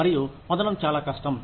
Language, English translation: Telugu, And, very difficult to get